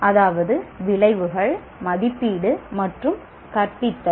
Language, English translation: Tamil, That is the outcomes, assessment, and teaching